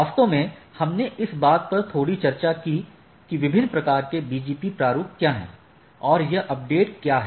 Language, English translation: Hindi, Actually we discussed little bit of what are the different type of BGP formats and that update is there any way we will discuss again